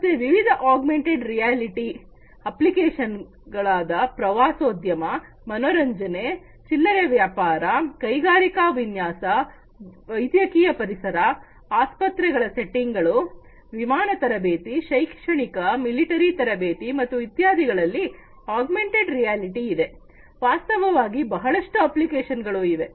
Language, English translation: Kannada, So, different applications of augmented reality in tourism, entertainment, retail, industrial design, medical environments, hospital settings, for instance, flight training, educational, military training and so, on augmented reality; reality has different applications